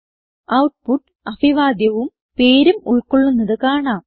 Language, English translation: Malayalam, We can see that the output shows the greeting and the name